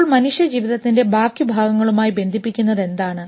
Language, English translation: Malayalam, So what is the interface and connection of human life with the rest